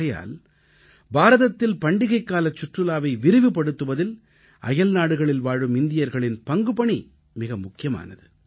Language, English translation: Tamil, Hence, the Indian Diaspora has a significant role to play in promoting festival tourism in India